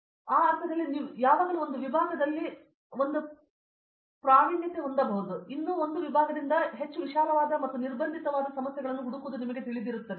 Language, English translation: Kannada, So, in that sense you can always have one foot in one department and still you know seek problems which are more broad based and constrained by that one department